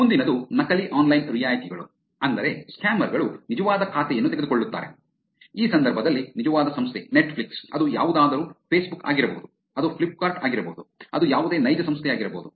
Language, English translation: Kannada, The next one is fake online discounts which is, scammers take the real account, real organization in this case Netflix, it could be anything Facebook, it could be Flipkart, it could be any real organization